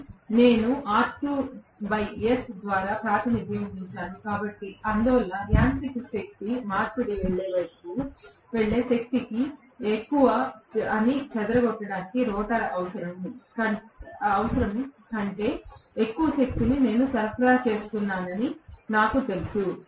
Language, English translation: Telugu, But, I have represented that by R2 by S, so I know that I am probably supplying more amount of power than what is required by the rotor to dissipate that more amount of power is the one which goes towards mechanical power conversion